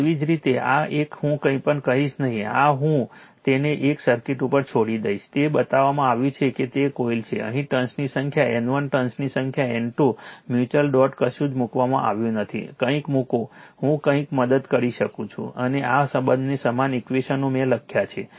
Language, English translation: Gujarati, Similarly this one I will not tell you anything this I leave it to you a circuit is shown right that you are that is coil here you have N number of turns a N 1 number of turns, N 2 number of turns mutual dot nothing is shown something you put, I am aided something and all this equal two equations I have written right